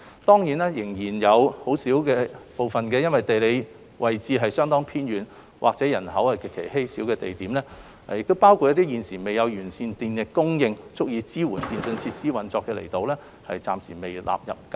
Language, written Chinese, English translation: Cantonese, 當然，仍有一些地理位置相當偏遠和人口極稀少的地點，包括一些現時未有完善的電力供應足以支援電訊設施的運作的離島，暫時未被納入計劃。, Notwithstanding some remotely located or sparsely populated areas including some islands without sufficient electricity supply to support the operation of telecommunication facilities are not included in the Scheme for the time being